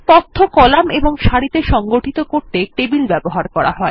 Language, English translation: Bengali, Lastly, tables are used to organize data into columns and rows